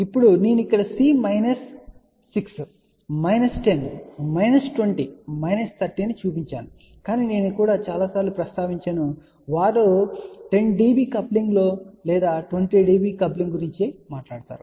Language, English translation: Telugu, Now I have put here C minus 6 minus 10 minus 20 minus 30 , but I just want to also mention that many a times they talk about 10 db coupling or 20 db coupling